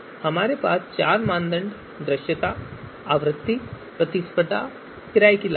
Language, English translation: Hindi, We have four criteria, visibility, frequency, competition and renting costs